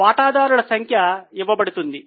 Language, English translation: Telugu, The number of shareholders are given